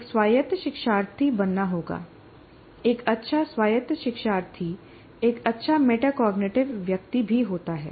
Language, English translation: Hindi, A good autonomous learner is also a good metacognitive person